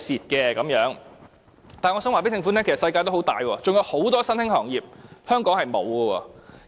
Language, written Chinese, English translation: Cantonese, 然而，我想告訴政府，世界很大，還有很多新興行業是香港沒有的。, However I would like to advise the Government that the world is so big and many emergent industries have yet to set foot on Hong Kong